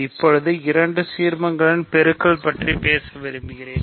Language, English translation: Tamil, So, now I want to talk about the product of two ideals ok